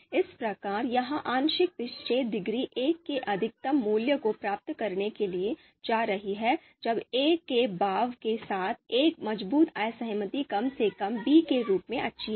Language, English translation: Hindi, So this partial discordance degree is going to be you know attain going to attain its maximum value of one when there is a strong disagreement with the assertion, the assertion being a is at least as good as b